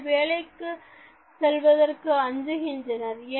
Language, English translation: Tamil, They are afraid of even going to work